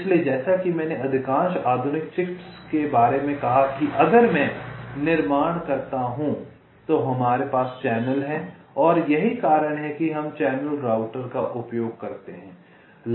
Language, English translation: Hindi, so this, as i said, most of the modern chips that if i fabricate, there we have channels and thats why we use channel routers